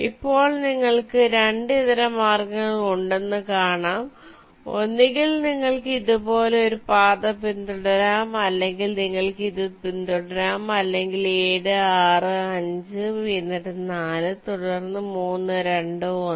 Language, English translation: Malayalam, either you can follow a path like this, like this, like this, or you can follow seven, six, five, then four, then three, two, one